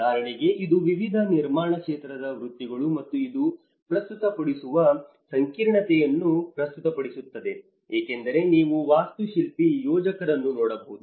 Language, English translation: Kannada, For instance, it presents the variety of different built environment professions and the complexity this presents; because you can see an architect, a planner